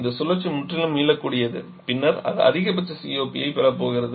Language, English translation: Tamil, This cycle is completely reversible then it is going to have the maximum COP